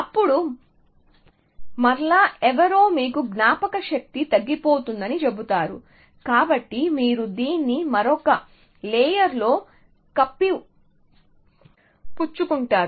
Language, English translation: Telugu, Then, again some somebody tells you are running out of memory, so again you covert this into another layer